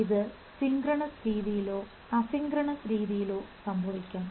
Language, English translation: Malayalam, This can happen in synchronous way or a asynchronous way